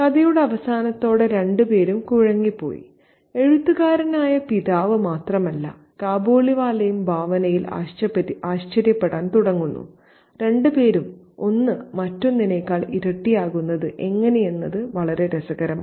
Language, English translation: Malayalam, Both of them are stuck in place by the end of the story, not only the writer father but also the Kabaliwala and they start to wander imaginatively, both of, and that's very interesting how one comes to double up as the other